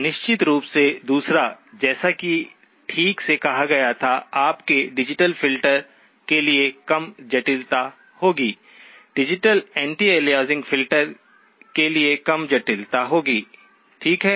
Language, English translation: Hindi, The second one of course was, as rightly pointed out, would be lower complexity for your digital filter, lower complexity for the digital anti aliasing filter, okay